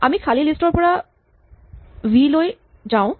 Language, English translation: Assamese, We go from the empty list to the list v